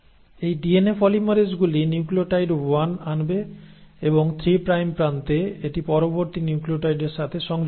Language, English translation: Bengali, So these DNA polymerases will bring in 1 nucleotide and attach it to the next nucleotide in the 3 prime end